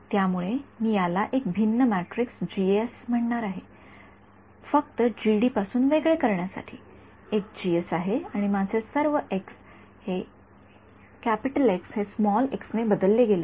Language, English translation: Marathi, So, I am going to call this a different matrix G S just to distinguish it from the G D I there is a G S matrix and all of these my chi has been replaced by the vector x